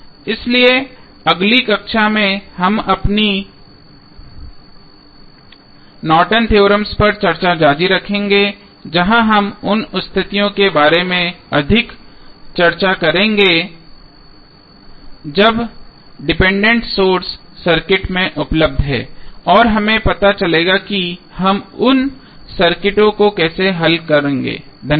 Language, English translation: Hindi, So, we will continue our Norton's theorem discussion in the next class where we will discuss more about the conditions when the dependent sources are available in the circuit and we will come to know how we will solve those circuits, thank you